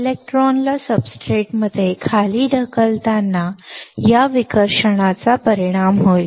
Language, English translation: Marathi, This repulsion will effect in the pushing the electrons down into the substrate